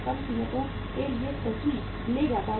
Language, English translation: Hindi, Moves to the low prices right